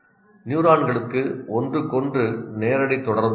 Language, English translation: Tamil, Neurons have no direct contact with each other